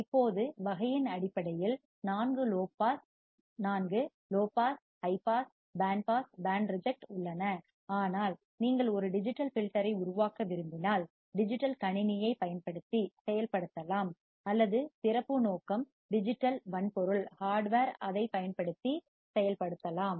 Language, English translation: Tamil, Now, also based on the category there are four low pass, high pass, band pass, band reject, but if you want to form a digital filter that can be implemented using a digital computer or it can be also implemented using special purpose digital hardware